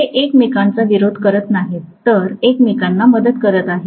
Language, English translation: Marathi, They are not opposing each other, they are essentially aiding each other